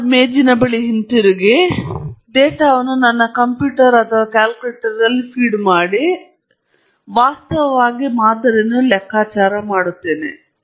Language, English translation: Kannada, Come back to my desk and feed in the data into my computer or my calculator and I actually compute the sample mean